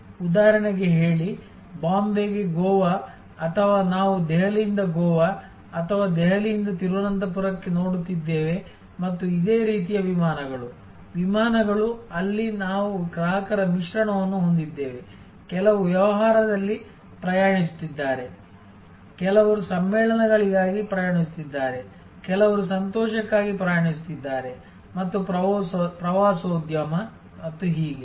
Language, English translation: Kannada, Say for example, Bombay to Goa or we are looking at Delhi to Goa or Delhi to Trivandrum and similar flights, flights, where we have a mix of customers, some are traveling on business, some are traveling for conferences, some are traveling for pleasure and tourism and so on